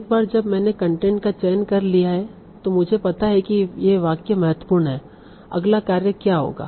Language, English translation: Hindi, Now once I have selected the content, I know these sentences are important